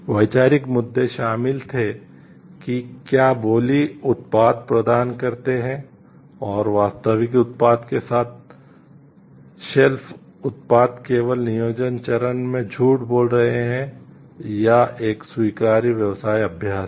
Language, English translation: Hindi, The conceptual issues involved whether bidding provide and off the shelf product with the actual product is only in the planning stage is lying or is an acceptable business practice